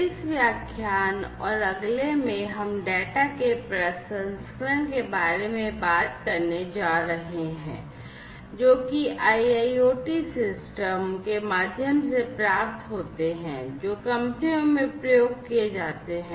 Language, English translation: Hindi, In this lecture and the next, we are going to talk about the processing of the data, that are received through the IIoT systems, that are deployed in the companies